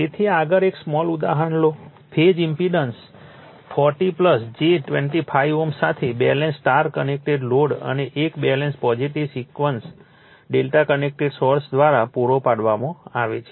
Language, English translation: Gujarati, So, next you take one small example that a balanced star connected load with a phase impedance 40 plus j 25 ohm is supplied by a balanced, positive sequence delta connected source